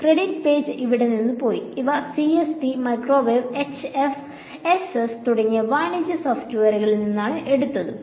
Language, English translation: Malayalam, The credits page has gone from here these are taken from commercial software like CST, microwave and HFSS